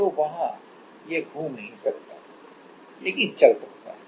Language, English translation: Hindi, So, there it cannot rotate, but it can move